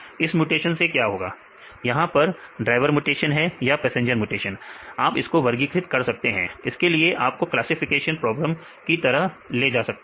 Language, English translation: Hindi, So, what will happen this passenger mutation or a driver mutation you can classify, you can take it as a classification problem whether driver or it is passenger